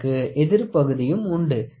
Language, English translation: Tamil, So, you will have a counterpart also